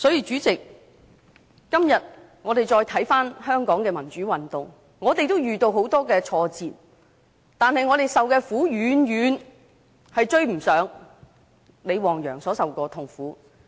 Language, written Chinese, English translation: Cantonese, 主席，今天再回看香港的民主運動，我們都遇到很多挫折，但我們受的苦遠遠不及李旺陽所受的。, President looking back at the democratic movement in Hong Kong today we have encountered many setbacks but our sufferings are far less than those endured by LI Wangyang